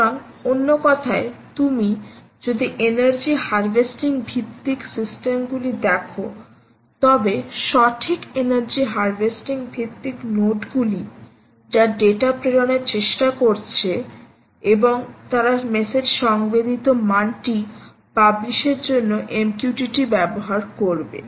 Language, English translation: Bengali, ok, so, in other words, if you take energy harvesting based systems right, energy harvesting based nodes which are trying to sends data and use m q t t for public, for publishing their messages, publishing their sensed value, is possible that they are not harvesting anymore